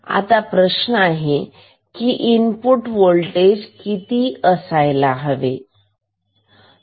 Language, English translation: Marathi, Then, what can we say about the input voltage